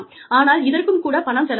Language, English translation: Tamil, But, that also costs money